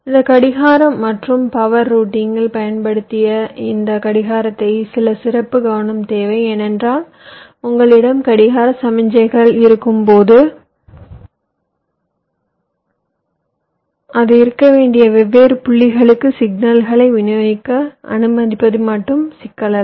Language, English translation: Tamil, ok, ah, this clock i have just mentioned earlier, this clock and power routing, requires some special attention because when you have the clock signals, it is not just the issue of just allowing the signals to be distributed to the different points were should be